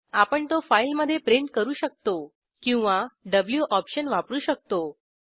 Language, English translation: Marathi, We can print it in file as well using the w option